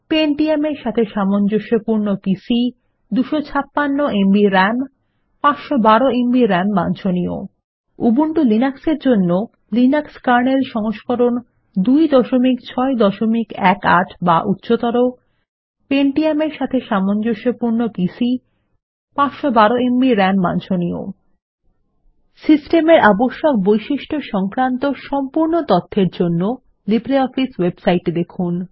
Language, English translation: Bengali, For Windows, you will need Microsoft Windows 2000 , XP, Vista, or Windows 7 Pentium compatible PC 256 Mb RAM For Ubuntu Linux,the system requirements are: Linux kernel version 2.6.18 or higher Pentium compatible PC 512Mb RAM recommended For complete information on System requirements,visit the libreoffice website